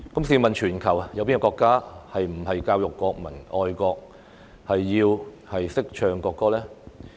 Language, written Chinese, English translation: Cantonese, 試問全球有哪個國家不是教育國民愛國，要懂得唱國歌呢？, Which country around the world does not teach its people to be patriotic and to sing the national anthem?